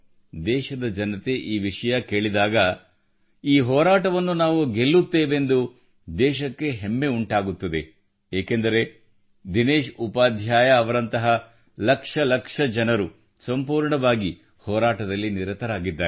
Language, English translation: Kannada, When the country listens to this, she will feel proud that we shall win the battle, since lakhs of people like Dinesh Upadhyaya ji are persevering, leaving no stone unturned